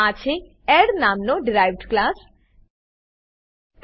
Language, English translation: Gujarati, This is a derived class named add